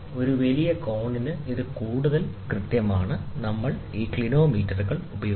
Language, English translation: Malayalam, So, this is more precise for a larger angle, we use these clinometers